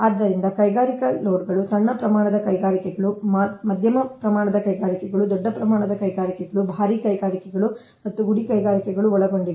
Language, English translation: Kannada, so industrial loads consists of small scale industries, medium scale industries, large scale industries, heavy industries and cottage industries